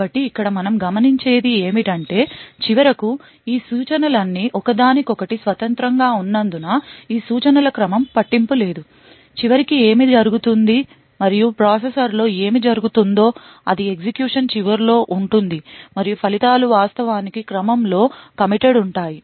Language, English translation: Telugu, So, what we notice over here is that eventually since all of these instructions are independent of each other the ordering of these instructions will not matter, what does matter eventually and what is done in the processor is at the end of execution the results are actually committed in order